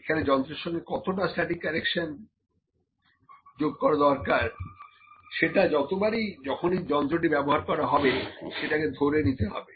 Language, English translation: Bengali, What is the static correction that we should adds to the instrument that should be inculcated every time we use this instrument